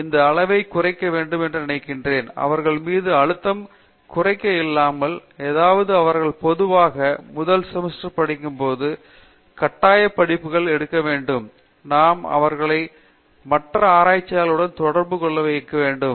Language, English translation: Tamil, So, I think we should be delink this to some extent, without reducing the pressure on them, which means that in first semester when they typically are busy with their courses, the mandatory courses to be taken, we should allow them to interact with other peer group meaning other researchers